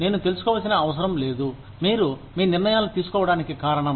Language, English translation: Telugu, I do not need to know, the reason for you, to be making your decisions